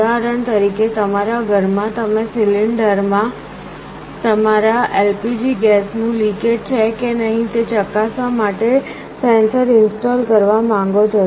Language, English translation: Gujarati, For example, in your home you want to install a sensor to check whether there is a leakage of your LPG gas in the cylinder or not